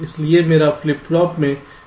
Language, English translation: Hindi, so my flip flop contains this state